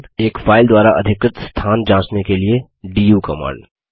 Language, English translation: Hindi, du command to check the space occupied by a file